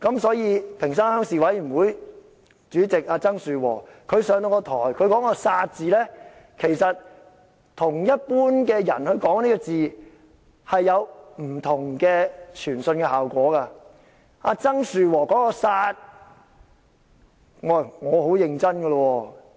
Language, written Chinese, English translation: Cantonese, 所以，屏山鄉鄉事委員會主席曾樹和在台上說"殺"字，其實與一般人說這個字，所傳達的效果並不相同。, TSANG Shu - wo is not an ordinary people hence his utterance of the word kill as Chairman of Ping Shan Rural Committee will serve very different effect